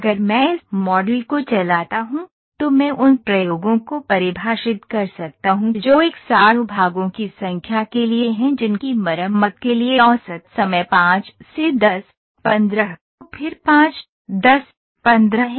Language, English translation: Hindi, So, also I can define the experiments that is for number of 100 number of parts, mean ten to repair is this much 5